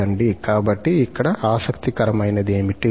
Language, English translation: Telugu, So, that is interesting